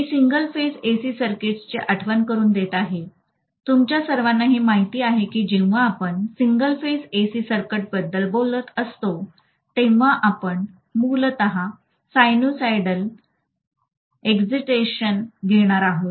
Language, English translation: Marathi, So I am starting with recalling single phase AC circuits, all of you guys know that generally when we talk about single phase AC circuit we are going to have sinusoidal excitation basically